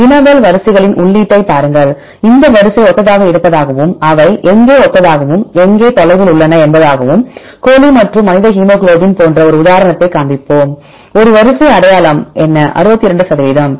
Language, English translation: Tamil, So, see the input of query sequences we assume that these sequence are similar and where they are similar and where they are distant right for example, just we show an example like chicken and human hemoglobin right what is a sequence identity 62 percent